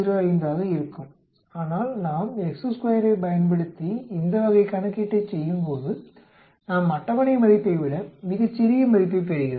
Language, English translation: Tamil, 05, but when we perform this type of calculation using chi square, we end up getting the value much smaller than the table value